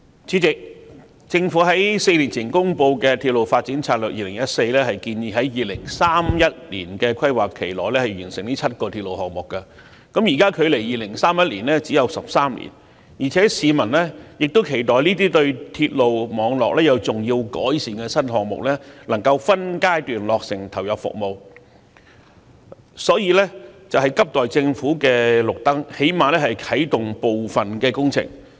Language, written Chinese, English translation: Cantonese, 主席，政府於4年前公布的《策略》建議在直至2031年的規劃期內完成7個新鐵路項目，現時距2031年只有13年，加上市民亦期待這些能對鐵路網絡作出重要改善的新項目可分階段落成及投入服務，因此急需政府"開綠燈"，最低限度啟動部分工程。, President in the Railway Development Strategy 2014 published four years ago the Government recommended the completion of seven new railway projects within the planning period of up to 2031 . Given that there are only 13 years left and there is public anticipation that such new projects which will bring significant improvements to our railway network can be completed and commissioned in phases the Government should give the relevant proposals the green light as early as possible so that at least some of the projects can be kick - started